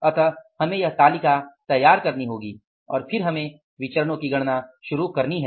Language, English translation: Hindi, So we will have to prepare this table and then we will have to go for calculating the variances